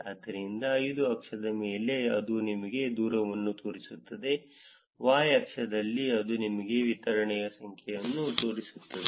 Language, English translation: Kannada, So, on the x axis it is showing you the distance; on the y axis, it is showing you the number of the distribution